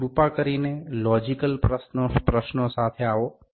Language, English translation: Gujarati, So, please come up with the logical questions